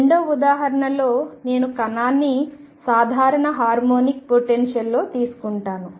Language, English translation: Telugu, In the second example I will take the particle in a simple harmonic potential